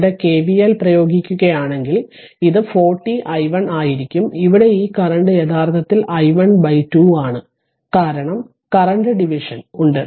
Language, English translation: Malayalam, So, if you apply KVL here, it will be look your what you call if I make it like this 40 i 1 right this one and here it is your this current is actually i 1 by 2 because current division is there